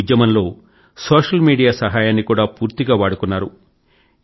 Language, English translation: Telugu, In this mission, ample use was also made of the social media